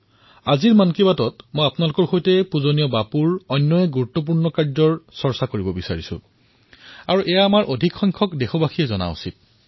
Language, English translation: Assamese, In today's Mann Ki Baat, I want to talk about another important work of revered Bapu which maximum countrymen should know